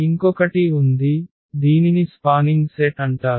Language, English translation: Telugu, And there is another one this is called a spanning set